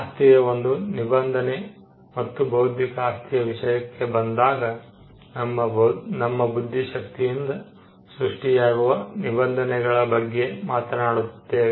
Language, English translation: Kannada, Property is a form of regulation, and when it comes to intellectual property, we are talking about a form of regulation of creations that come out of the mind